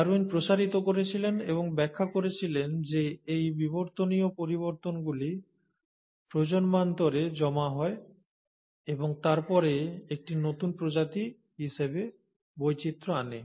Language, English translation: Bengali, Darwin extended and he explains that these evolutionary changes accumulate over generations and then diversify into a newer species